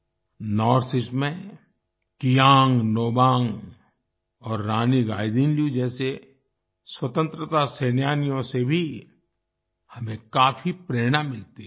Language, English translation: Hindi, We also get a lot of inspiration from freedom fighters like Kiang Nobang and Rani Gaidinliu in the North East